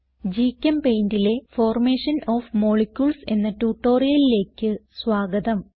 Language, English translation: Malayalam, Hello everyone Welcome the tutorial on Formation of molecules in GChemPaint